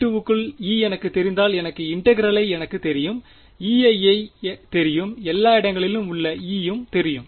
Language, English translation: Tamil, If I know the field inside v 2 if I know E inside v 2 am I done yes, if I know E inside v 2 then the integral I know; E i I know therefore, I know E everywhere